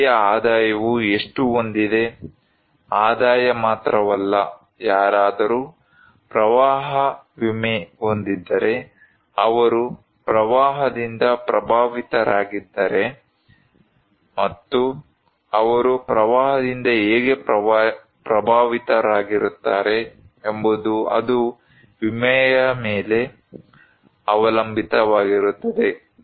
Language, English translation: Kannada, How much the person's income has, not only income, but also if they have insurance like if someone has flood insurance so if they are affected, and how they will be impacted by the flood, it depends on insurance